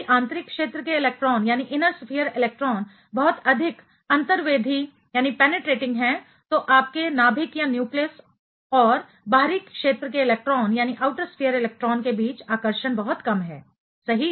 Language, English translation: Hindi, If inner sphere electrons are very much penetrating then the attraction between your nucleus and the outer sphere electron going to be very little right ok